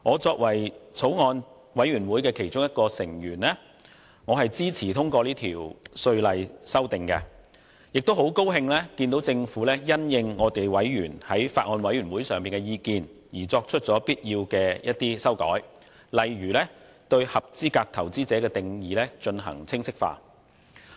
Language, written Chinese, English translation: Cantonese, 作為法案委員會的其中一名委員，我支持通過《條例草案》，亦很高興看到政府因應法案委員會委員的意見而作出必要的修改，例如更清晰界定"合資格投資者"的定義。, As a member of the Bills Committee I support the passage of the Bill and I am very pleased to see that the Government has proposed the necessary amendments in light of the views of members of the Bills Committee such as providing a clearer definition of qualified investor